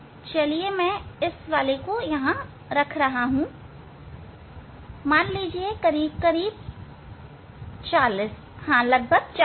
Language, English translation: Hindi, say I am keeping this one at say around 40; around 40